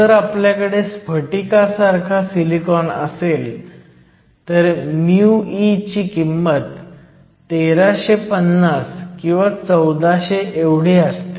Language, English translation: Marathi, If we have crystalline silicon, mu e is usually around 1350 or 1400